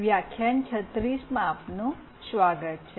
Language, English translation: Gujarati, Welcome to lecture 36